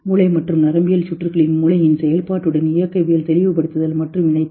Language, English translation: Tamil, To elucidate and link dynamics of the brain and neural circuits with brain